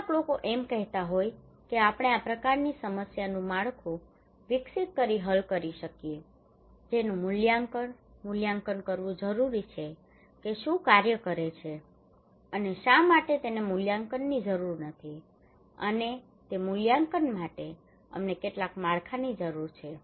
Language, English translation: Gujarati, Some people are saying that we can solve this problem by developing a framework we need to kind of evaluation, evaluation that what works and why not so for that we need evaluation, and for that evaluation we need some framework